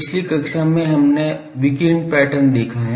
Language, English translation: Hindi, In last class we have seen the radiation pattern